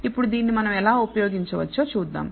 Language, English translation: Telugu, Now, what how we can use this we will see